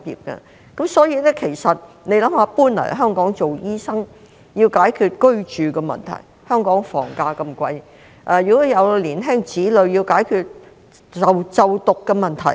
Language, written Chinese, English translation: Cantonese, 大家試想一想，醫生遷往香港要解決居住的問題，而香港房價那麼貴，有年輕子女的還要解決就讀的問題。, Come to think about this doctors who move to Hong Kong have to solve the problem of accommodation but property prices in Hong Kong are that high; those with young children have to solve the problem of schooling as well